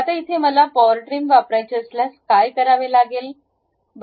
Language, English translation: Marathi, If I want to really use Power Trim